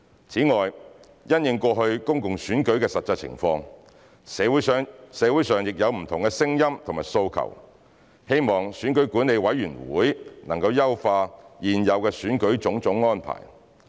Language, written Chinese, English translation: Cantonese, 此外，因應過去公共選舉的實際情況，社會上亦有不同的聲音和訴求，希望選舉管理委員會能優化現有選舉的種種安排。, Besides in the light of the public elections in the past there are different voices and demands in the community calling for the Electoral Affairs Commission EAC to enhance various existing electoral arrangements